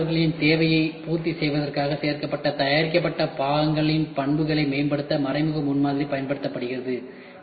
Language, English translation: Tamil, Indirect prototyping is applied to improve the additive manufactured parts property in order to fulfil the applicators requirement